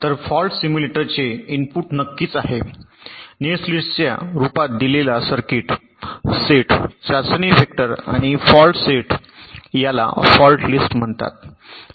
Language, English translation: Marathi, so the input to a fault simulator are, of course, the given circuit in the form of a netlist, set of test vectors and a set of faults